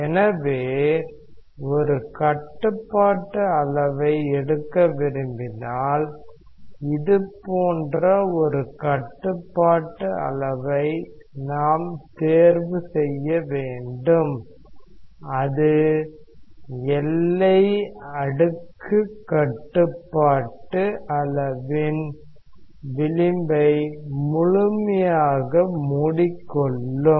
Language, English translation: Tamil, So, if you want to take a control volume let us say we choose a control volume like this, just engulfing the edge of the boundary layer control volume